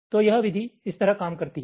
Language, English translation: Hindi, ok, so this method works like this